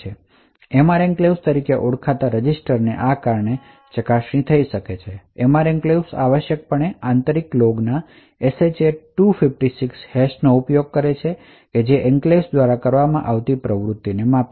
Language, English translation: Gujarati, So a lot of this Attestation is possible due to a register known as the MR enclave, so this MR enclave essentially uses a SHA 256 hash of an internal log that measures the activity done by the enclave